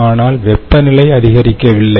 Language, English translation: Tamil, the temperature does not